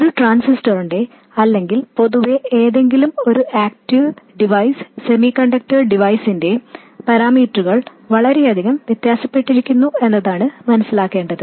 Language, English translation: Malayalam, The point is that the parameters of a transistor or in general any active device, semiconductor device, vary quite a lot